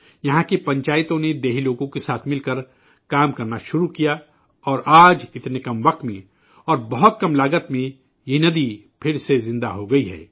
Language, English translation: Urdu, The panchayats here started working together with the villagers, and today in such a short time, and at a very low cost, the river has come back to life again